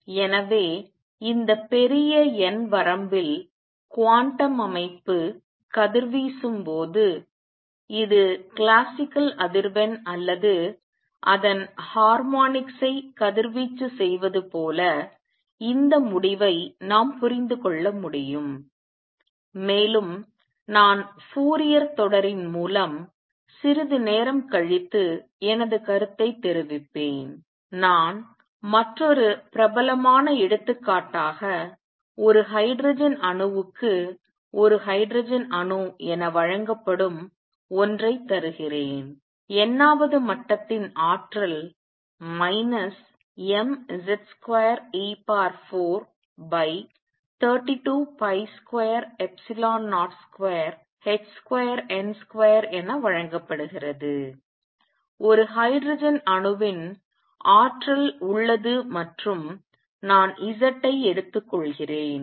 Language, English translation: Tamil, So, it is as if when the quantum system is radiating in this large n limit, it is radiating either the classical frequency or its harmonics we can understand this result and I will comment on it little later through Fourier series let me give you another famous example it is a hydrogen atom for a hydrogen atom, the energy of the nth level is given as minus m z square e raise to 4 over 32 pi square epsilon 0 square h square n square, there is the energy of a hydrogen atom and since I am taking z